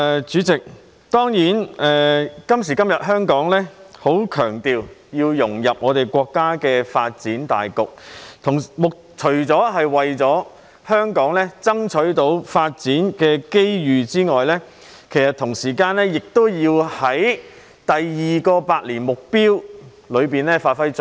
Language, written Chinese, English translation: Cantonese, 主席，當然，今時今日香港社會強調要融入國家的發展大局，除為香港爭取發展機遇外，同時亦要在國家的"兩個一百年"奮鬥目標中發揮作用。, President of course the Hong Kong community emphasizes the need to integrate into the overall development of the country nowadays . Apart from striving for development opportunities for Hong Kong we also have to play a role in the countrys two centenary goals